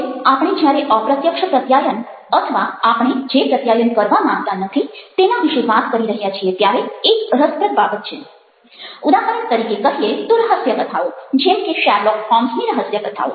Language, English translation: Gujarati, now, one of the interesting things when we are talking about covert communication or communication where we dont intend to, is the example of, lets say, detective stories, as in case of stories of sherlock holmes